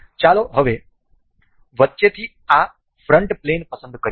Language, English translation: Gujarati, Let us select this front plane from the middle